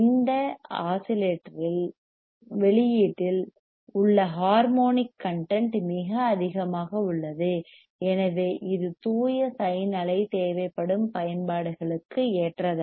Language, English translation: Tamil, The harmonyic content in the output of this oscillator is very high hence it is not suitable for the applications which requires the pure signe wave